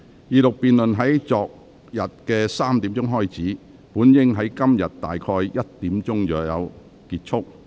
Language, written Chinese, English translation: Cantonese, 二讀辯論在昨天下午3時開始，本應在今天下午1時左右結束。, The Second Reading debate which started at 3col00 pm yesterday should have ended around 1col00 pm today